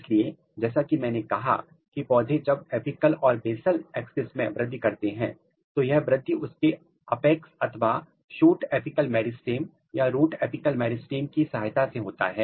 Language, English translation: Hindi, So, as I said when plant is growing in the apical and basal axis it is growing by using its apex or shoot apical meristem and root apical meristem